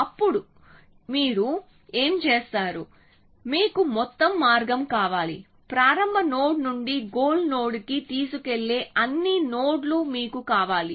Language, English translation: Telugu, Now, how what do you do you want the whole path you want all the nodes which take you from the start node to the goal node essentially